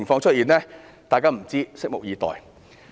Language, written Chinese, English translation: Cantonese, 大家都不知道，只能拭目以待。, We do not know and we can only wait and see